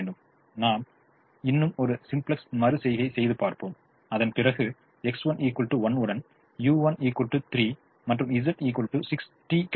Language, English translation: Tamil, now let us say we do one more simplex iteration, after which we get x one equal to six, u one equal to three with z equal to sixty